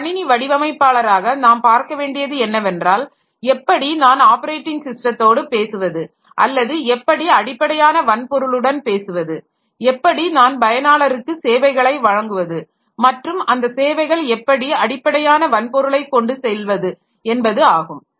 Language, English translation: Tamil, So, as a system designer, so we have to see like how can I talk to the operating system, how can I talk to the underlying hardware and how can I provide the services to the user and those services are ultimately done by the underlying hardware